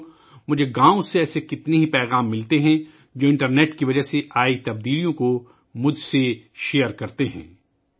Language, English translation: Urdu, Friends, I get many such messages from villages, which share with me the changes brought about by the internet